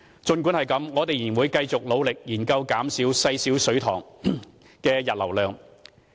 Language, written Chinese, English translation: Cantonese, 儘管如此，我們仍會繼續努力研究減低細小水塘的溢流量。, Nevertheless we will continue our effort to study how to reduce overflow from small reservoirs